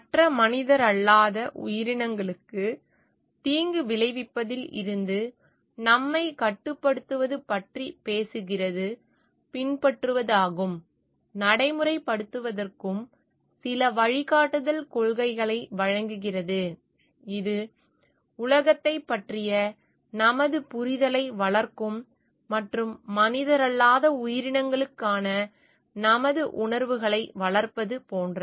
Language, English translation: Tamil, And or it talks of restricting our self from providing any harm to the other non human entities, gives us some guiding principles to follow and practice, which will develop our understanding of the world and like nurture our feelings for the non human entities, and make our own evolution of ethics